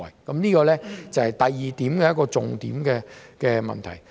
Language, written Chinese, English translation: Cantonese, 這是第二點的一個重點問題。, This is a key issue in the second point